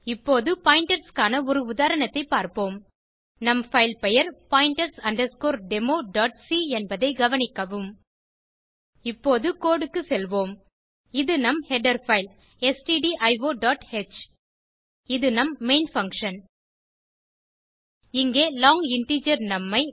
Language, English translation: Tamil, Now, let us see an example on pointers Note that our file name is pointers demo.c Let us go through the code now This is our header file as stdio.h This is our main function Here we have long integer num assigned value 10